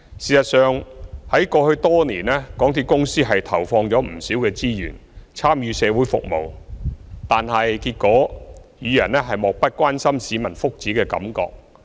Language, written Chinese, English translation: Cantonese, 事實上，在過去多年，港鐵公司投放不少資源參與社會服務，但結果仍予人漠不關心市民福祉的感覺。, As a matter of fact over the years MTRCL has devoted a lot of resources to community services but in the end its image of indifference to peoples well - being still prevails